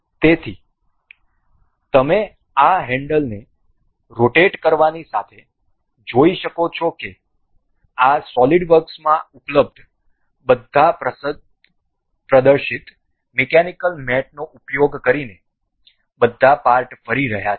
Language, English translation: Gujarati, So, that you can see as you rotate this handle and we can see all of the parts moving using all using the demonstrated mechanical mates available in this solid works